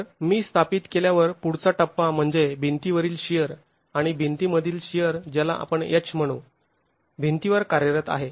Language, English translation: Marathi, So, the next stage is after I have established what the wall shear is and here the wall shear is let's say H acting the wall